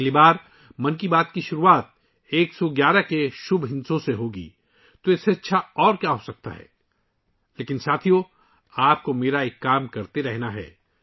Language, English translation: Urdu, Next time 'Mann Ki Baat' starting with the auspicious number 111… what could be better than that